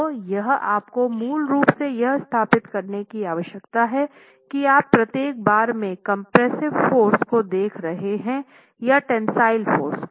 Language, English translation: Hindi, So here you basically need to establish whether you are looking at a compressive force resultant or a tensile force resultant at each bar